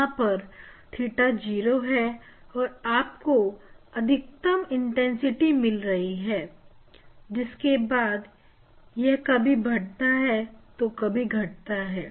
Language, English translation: Hindi, here at theta equal to 0 you will get maximum intensity then increasing decreasing